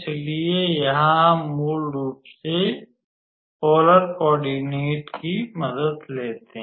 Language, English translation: Hindi, So, here we basically take help of the how to say polar coordinates actually